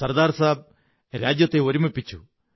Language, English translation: Malayalam, Sardar Saheb unified the country